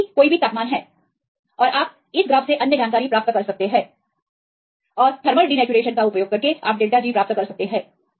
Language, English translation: Hindi, T is any temperature and you can get the other information from this graph and you can get the delta G using thermal denaturation